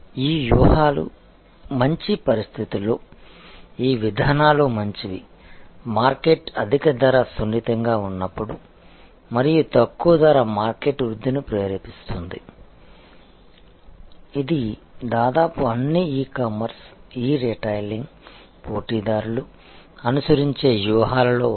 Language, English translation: Telugu, And the conditions under which this strategies good, this policies good is, when the market is highly price sensitive and there low price stimulates market growth, which is one of the strategies being adopted by almost all e commerce, e retailing players